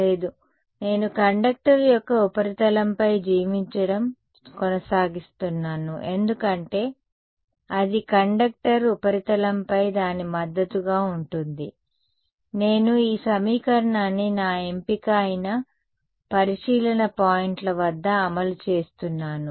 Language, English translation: Telugu, No, the I continues to live on the surface of the conductor because that is where it is that is its support the surface of the conductor right, I am enforcing this equation at the observation points which is my choice